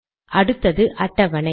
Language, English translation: Tamil, The next one is the table